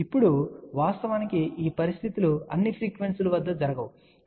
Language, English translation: Telugu, Now, of course, these conditions will not happen at all the frequencies, ok